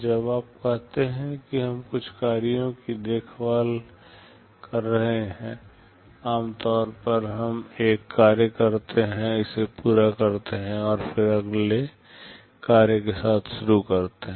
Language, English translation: Hindi, When you say we are caring out certain tasks, normally we do a task, complete it and then start with the next task